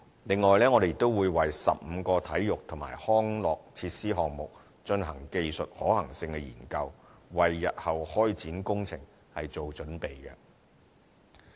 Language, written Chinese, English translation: Cantonese, 此外，我們亦會為15個體育及康樂設施項目進行技術可行性研究，為日後開展工程做準備。, Moreover we will also conduct technical feasibility studies for 15 projects on sports and recreation facilities to prepare for the impending works